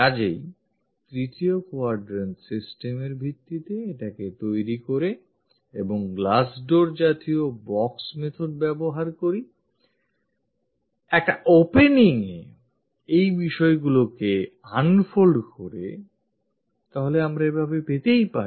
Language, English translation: Bengali, So, based on the 3rd quadrant system, if we are trying to make it and using glass door kind of box method, un opening that unfolding these things, this is the way we get